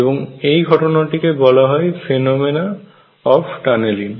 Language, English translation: Bengali, And this is known as the phenomena of tunneling